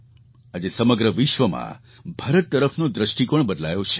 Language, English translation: Gujarati, Today the whole world has changed the way it looks at India